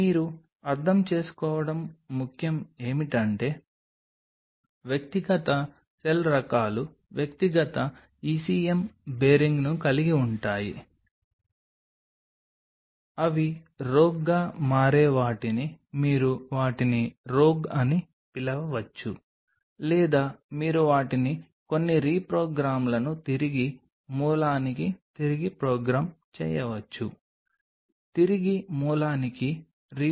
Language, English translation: Telugu, what is important for you to understand is individual cell types have individual ecm, bearing aside those, which becomes rogue you can call them rogue or you can call them some reprogram themselves back to the origin, reprogramming back to the origin